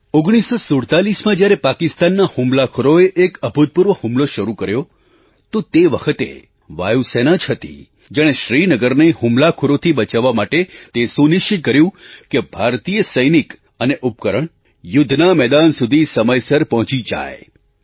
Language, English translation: Gujarati, In 1947, when Pakistani attackers resorted to an unprecedented attack, it was indeed our Air Force which ensured that Indian Soldiers and armaments reached the battlefield promptly